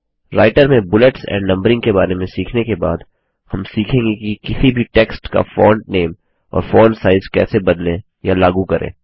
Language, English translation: Hindi, After learning about Bullets and Numbering in Writer, we will now learn how the Font name and the Font size of any text can be changed or applied